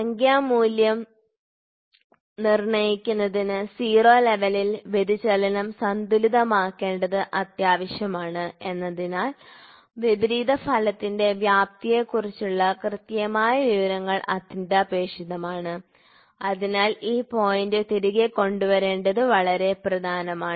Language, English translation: Malayalam, Since, it is required to balance the deflection preferably at the 0 level in order of determining the numerical value precise information of the magnitude of the opposing effect is essential since, it has to bring back this point is very very important